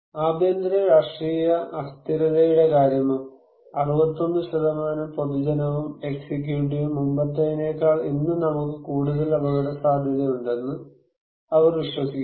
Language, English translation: Malayalam, What about domestic political instability; 61% both public and executive, they believe that we have more risk today than before